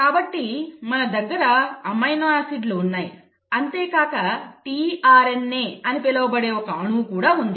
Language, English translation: Telugu, So you have amino acids and then you have a molecule called as the tRNA